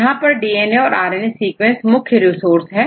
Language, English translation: Hindi, Here the main resources sources are the DNA and RNA sequences right